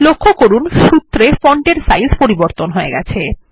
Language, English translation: Bengali, Notice the font size changes in the formulae